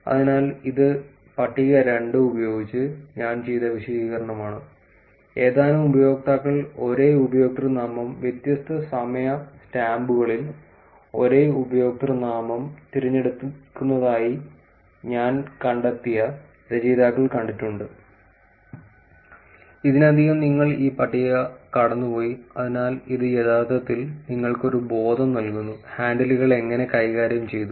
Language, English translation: Malayalam, So, this is the explanation that I did with the table two, which is the authors found that a few users collaboratively pick the same username at different times stamps, and the table I have already walked you through, so which actually gives you a sense of how the handles have been managed